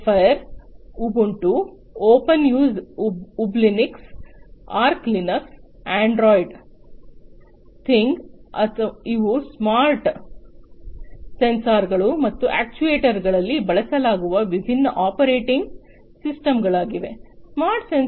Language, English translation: Kannada, Zephyr, Ubuntu, Opensuse Ublinux, Archlinux, Androidthing, these are some of the different operating systems that are used in the smart sensors and actuators